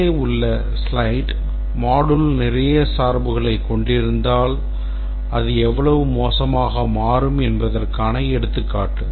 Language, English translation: Tamil, This is an illustration of how bad it can become if the modules are having a lot of dependencies